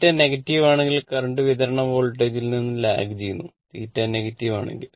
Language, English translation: Malayalam, Theta negative then resultant current lags the supply voltage if theta is negative